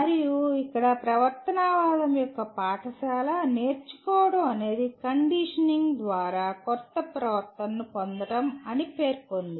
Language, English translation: Telugu, And here the school of behaviorism stated learning is the acquisition of new behavior through conditioning